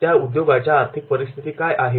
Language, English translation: Marathi, What is the financial condition